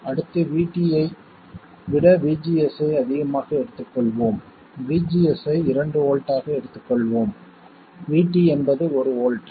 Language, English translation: Tamil, Next, let's take VGS more than VT, let's say VGS of 2 volts and VT is 1 volt